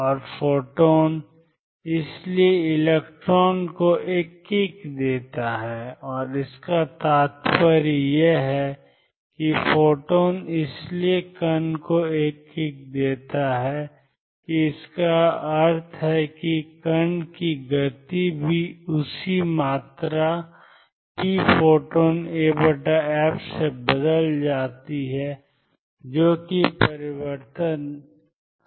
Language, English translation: Hindi, And the photon therefore, gives a kick to the electron and this implies that the photon therefore, gives a kick to the particle and that implies that the momentum of particle also changes by the same amount p